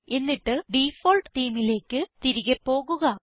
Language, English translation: Malayalam, * Then switch back to the default theme